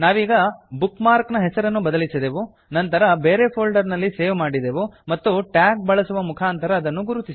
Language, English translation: Kannada, So, we have renamed the bookmark, saved it in another folder and located it using a tag